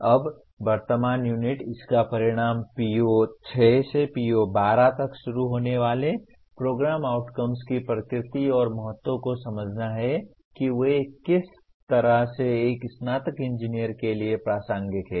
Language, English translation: Hindi, Now the present unit, the outcome is to understand the nature and importance of program outcomes starting from PO6 to PO12 in what way they are relevant to a graduating engineer